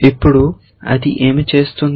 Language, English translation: Telugu, Now, what is it doing